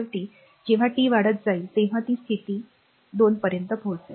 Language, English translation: Marathi, So, when t is increasing finally, it will reach to the steady state the 2 right